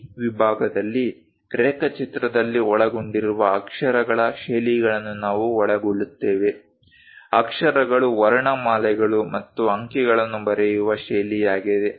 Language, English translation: Kannada, In this section, we cover what are the lettering styles involved for drawing; lettering is the style of writing alphabets and numerals